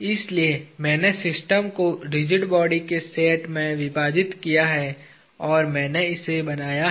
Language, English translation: Hindi, So, I split the system into sets of rigid bodies and I have drawn this